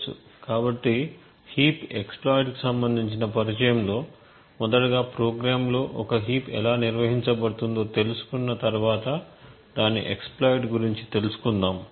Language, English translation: Telugu, So, this very basic introduction to a heap exploit would first take us through how a heap is organized in the program and then we would actually use the exploit